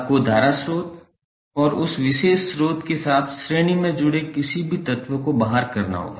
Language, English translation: Hindi, You have to exclude the current source and any element connected in series with that particular source